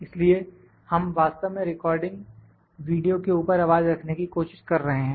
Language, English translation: Hindi, So, we actually trying to put the voice over the recorded video